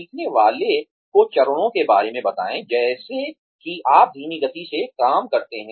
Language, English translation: Hindi, Have the learner explain the steps, as you go through the job, at a slower pace